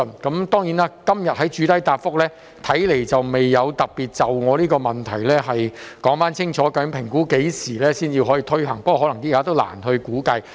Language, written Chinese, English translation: Cantonese, 局長今天的主體答覆，看來未有特別針對我的質詢，說清楚究竟當局估計何時才可推行計劃，不過，現時可能亦難以評估。, In his main reply today it seems that the Secretary has not specifically responded to my question by stating clearly when the Scheme can be implemented as estimated by the authorities . Nevertheless it may be difficult to make an assessment at this stage